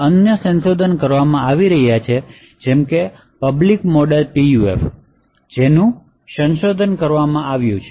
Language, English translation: Gujarati, So, there are being other works such as the public model PUF which has been researched